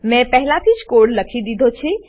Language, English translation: Gujarati, I have already written the code